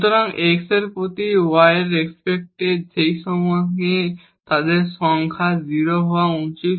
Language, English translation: Bengali, So, with respect to x and with respect to y at that point they should be 0